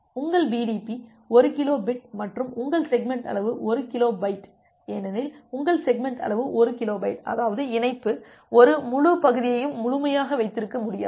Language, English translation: Tamil, So, here am here your BDP is 1 kilo bit and your segment size is 1 kilobyte because your segment size is one kilobyte; that means, the link cannot hold an entire segment completely